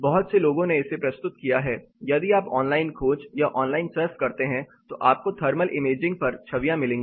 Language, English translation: Hindi, Lot of people have presented, if you search online surf online you will find images on thermal imaging